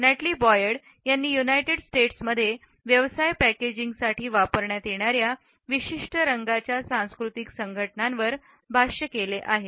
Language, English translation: Marathi, Natalie Boyd has commented on the cultural associations of color in business packaging in the United States